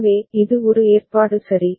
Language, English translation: Tamil, So, this is one arrangement ok